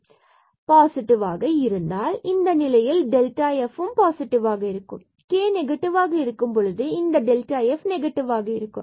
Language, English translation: Tamil, So, if it is positive in that case this delta f will be positive for k positive and this delta f will be negative when we have k negative